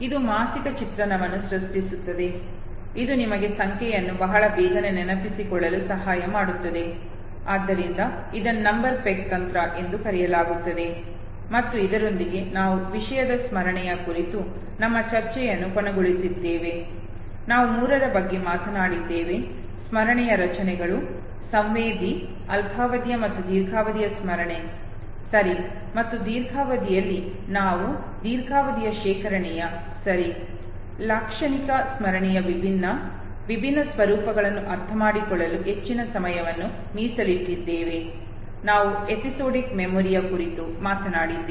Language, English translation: Kannada, This creates a mental image which in turn will help you recollect the number very fast okay, so this is called number peg technique and with this we have come to an end to our discussion on the topic memory, just to summarize we talked about the three structures of memory, the sensory, short term and long term memory okay, and in long term of course we devoted to much of time to understand different, different formats of a long term storage okay, semantic memory, we talked about episodic memory okay